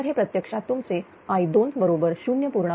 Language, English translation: Marathi, So, this is actually your i 2 is equal to 0